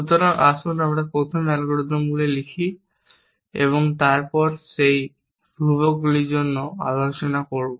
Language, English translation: Bengali, So, let us first write down on the algorithms and then will discuss for those constants